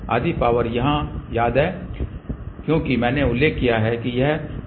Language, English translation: Hindi, So, if we send half power here half power here this is known as a 3 dB coupler